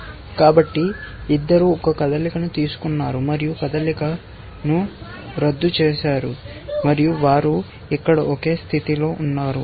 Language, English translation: Telugu, So, both have made a move and undone the move and so, they are in the same state here